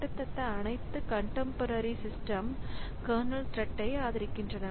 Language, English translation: Tamil, So, virtually all contemporary systems support kernel threads